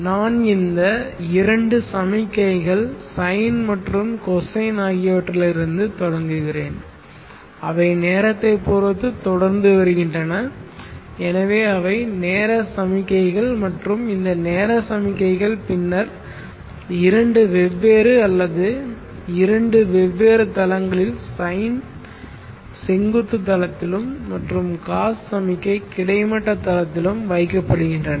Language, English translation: Tamil, This signal which we started with these two signals the sine and the cosine which are evolving along time they are time signals and these time signals were then put into two different flavoring or two different planes the sine signal was put on the vertical plane and the cost signal was put on the horizontal plane